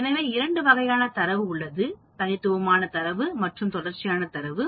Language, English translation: Tamil, So, we have two types of data, the discrete data and the continuous data